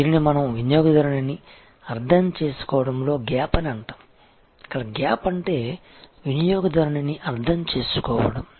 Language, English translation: Telugu, This is what we call understanding the customer, the gap is understanding the customer